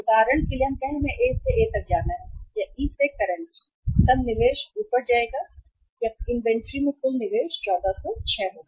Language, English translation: Hindi, Say for example go from the A to current to E then the investment will go up or the total investment in the inventory will be 1406